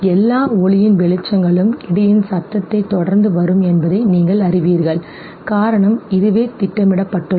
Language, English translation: Tamil, You know that all lighting will be followed by the sound of the thunder, reason being this is how it is programmed